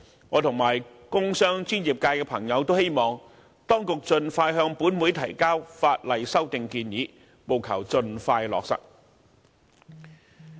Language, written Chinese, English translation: Cantonese, 我和工商專業界的朋友也希望當局盡快向立法會提交法例修訂建議，務求盡快落實。, I and members of the industrial commercial and professional sectors also hope that the relevant legislative amendments will be submitted to the Legislative Council as soon as possible for expeditious implementation